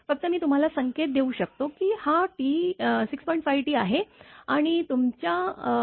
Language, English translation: Marathi, Only I can give you the hint this is 6